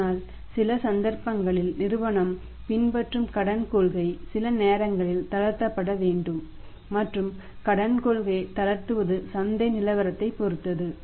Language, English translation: Tamil, But in certain cases that Credit Policy which the firm is following sometimes that needs to be relaxed and relaxing of the Credit Policy relaxing of the Credit Policy depends upon the market the market situation